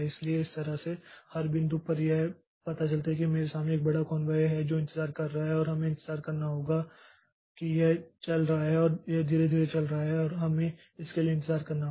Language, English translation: Hindi, So, that way, so at every point it finds that in front of me there is a big convoy that is waiting and we have to wait for that is that is running and that is going slowly and we have to wait for that